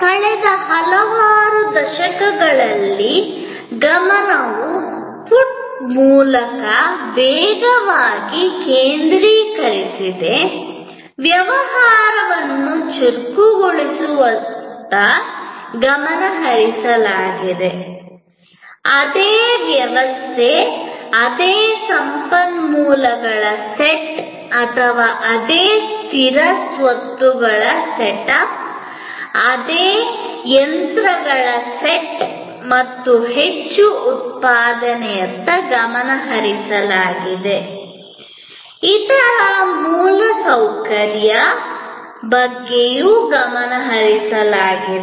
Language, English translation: Kannada, Over last several decades, the focus has been on faster through put, focus has been on accelerating the business, focus has been on producing more with the same system, same set of resources or the same fixed assets setup, the same sets of machines and other infrastructure